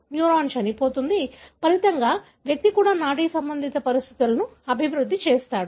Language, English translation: Telugu, The neuron die, as a result the individual also develop neurological conditions